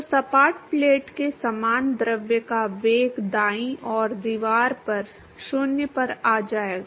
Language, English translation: Hindi, So, similar to the flat plate the velocity of the fluid will come to 0 at the wall right